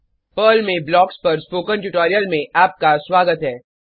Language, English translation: Hindi, Welcome to the spoken tutorial on BLOCKS in Perl